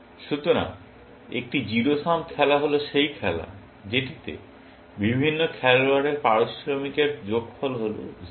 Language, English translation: Bengali, So, a zero sum game is the game, in which, the sum of the payoffs of different players is 0